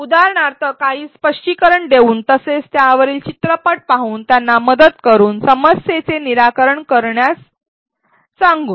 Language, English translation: Marathi, For example, by doing some explanation as well as by watching a video on it, by helping them, by asking them to solve a problem